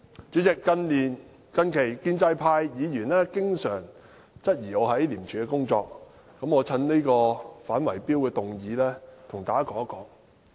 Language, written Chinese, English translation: Cantonese, 主席，近日建制派議員經常質疑我在廉政公署的工作，我藉着這項反圍標的議案，跟大家說一說。, President recently Members of the pro - establishment camp have frequently questioned my work in the Independent Commission Against Corruption ICAC . Let me take this opportunity of the motion debate on combating bid - rigging to talk about it